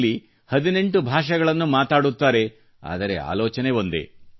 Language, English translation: Kannada, She speaks 18 languages, but thinks as one